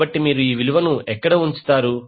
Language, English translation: Telugu, So, where you will put the value